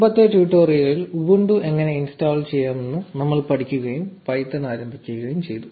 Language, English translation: Malayalam, In the previous tutorial, we learnt how to install ubuntu and got started with python